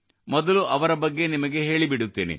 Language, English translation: Kannada, Let me first tell you about them